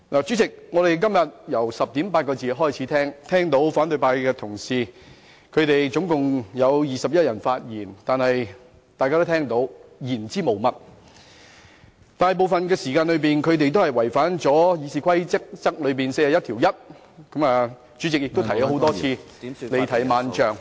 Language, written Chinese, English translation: Cantonese, 主席，我們今天由10時40分開始細聽了共21位反對派同事的發言，但全部言之無物，而且大部分時間違反《議事規則》第411條，主席更多次提醒他們不要離題萬丈......, President since 10col40 am today we have been listening attentively to the speeches of 21 opposition Members which were all devoid of substance . They have contravened RoP 411 most of the time and the President has reminded them time and again not to deviate too far from the subject